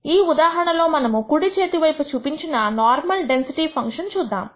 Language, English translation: Telugu, In this case we will look at what is called the normal density function which is shown on the right